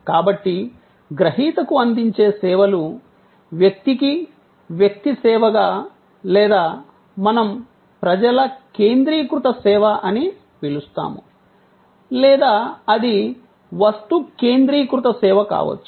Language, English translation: Telugu, So, either services offered to the recipient as a person to person, service or what we call people focused service or it could be object focused service